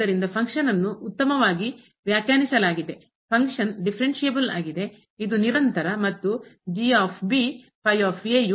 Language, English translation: Kannada, So, the function is well defined the function is differentiable, it is continuous and is equal to